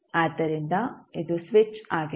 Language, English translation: Kannada, So, this is this the switch